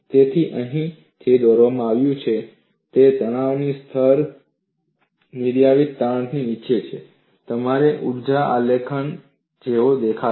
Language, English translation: Gujarati, So, what is plotted here is, when the stress levels are below the critical stress, the energy graph would look like this